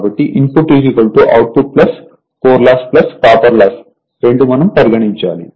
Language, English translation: Telugu, So, input is equal to output plus core loss plus copper loss both we have to consider